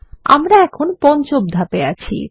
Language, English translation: Bengali, We are in step 5 now